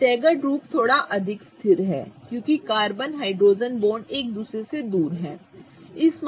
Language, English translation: Hindi, The staggered form is a little more stable because the carbon hydrogen bonds are farthest apart from each other